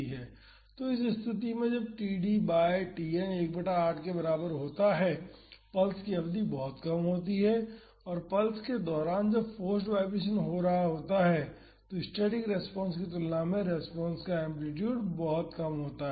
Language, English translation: Hindi, So, in this case when td by Tn is equal to 1 by 8 the duration of the pulse is very short and during the pulse that is when forced vibration is happening, the amplitude of the response is very low compared to the static response